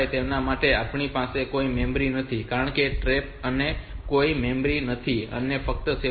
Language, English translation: Gujarati, 5 for them we can we do not have any memory since trap also do not have any memories, only 7